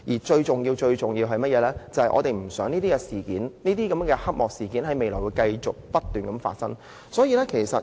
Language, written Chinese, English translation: Cantonese, 最重要的是，我們不希望這類黑幕事件在未來繼續不斷發生。, Most important of all we do not want to see this kind of shady deals happen time and again in the future